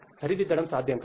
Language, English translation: Telugu, There is no rectification possible